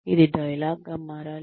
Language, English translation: Telugu, It is supposed to be a dialogue